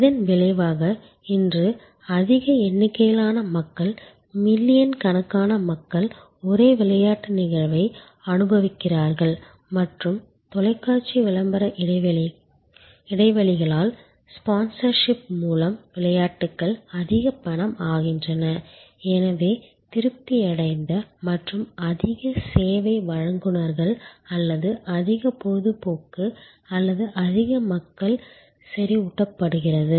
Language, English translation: Tamil, And so as a result today large number of people, millions of people enjoy the same game event and the games are lot more money by sponsorship by television ads gaps and on the whole therefore, more people at satisfied and more service providers or more entertainers or enriched